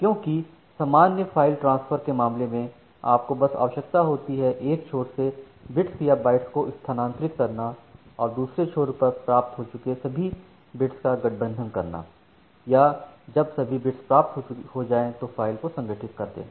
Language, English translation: Hindi, Because in case of normal file transfer, you just need to transfer the bytes at the bits at the other end and in the other end, you can just combine all the bits all together whenever you are receiving, or whether you have received all the bits and then you can reconstruct the file